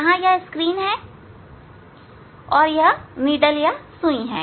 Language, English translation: Hindi, here this is a screen, and this is a needle